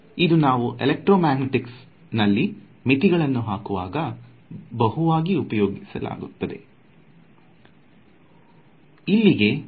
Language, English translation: Kannada, So, this is again very useful for imposing boundary conditions in electromagnetics